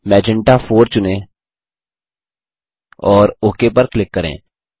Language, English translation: Hindi, Choose Magenta 4 and click OK